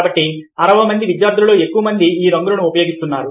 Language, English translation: Telugu, so the majority over sixty students makes use of these colours